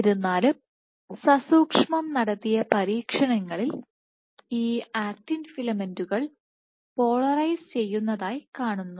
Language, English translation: Malayalam, However careful experiments have shown that these actin filaments tend to be polarized